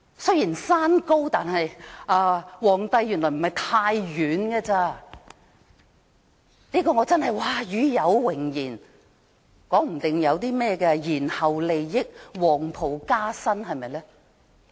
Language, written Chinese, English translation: Cantonese, 雖然山高，但皇帝原來不太遠，真是與有榮焉，說不定還會有些延後利益，會否黃袍加身？, Although the mountain is high the emperor is not too far away and he really feels honoured . There may also be some deferred benefits will he be highly honoured?